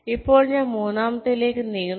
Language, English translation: Malayalam, now we move to the third